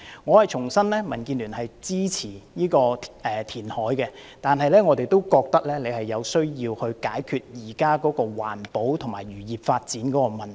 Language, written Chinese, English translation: Cantonese, 我重申，民建聯支持有關的填海計劃，但是，我們也認為政府需要解決現時環保和漁業發展的問題。, Here let me reiterate that DAB supports the reclamation project concerned but we also consider it necessary for the Government to address the existing problems relating to environmental protection and the development of fisheries industry